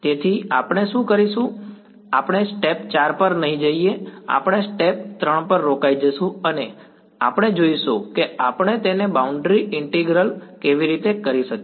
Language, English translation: Gujarati, So, what we will do is we will not go to step 4 we will stop at step 3 and we will see how we can marry it with boundary integral ok